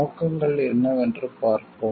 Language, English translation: Tamil, Let us see what are the objectives